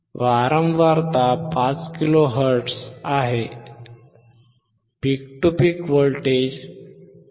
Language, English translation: Marathi, The frequency is 5 kilo hertz, peak to peak voltage is 5